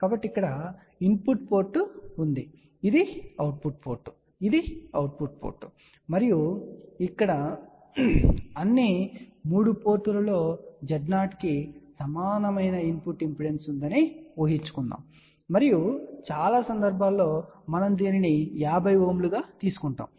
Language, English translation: Telugu, So, let us see what we have shown over here, so here is the input port this is the output port this is the output port and here we are assuming that all the 3 ports have a input impedance which is equal to Z0 and majority of the time we take this as 50 ohm